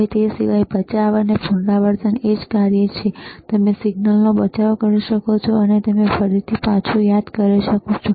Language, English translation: Gujarati, Now, other than that, save and recall is the same function that you can save the signal, and you can recall it later